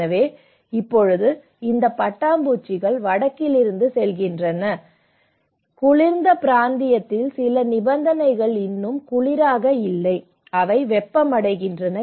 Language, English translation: Tamil, So, now these butterflies you know it is heading from north so, maybe certain conditions are now in the colder areas are no more cold now, they are getting warmer